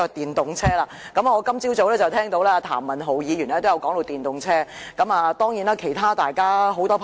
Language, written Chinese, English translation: Cantonese, 我今早聽到譚文豪議員談及電動車，當然，其他議員也十分關注。, Earlier today I heard Mr Jeremy TAM mentioned electric vehicles in his speech which are also of concern to other Members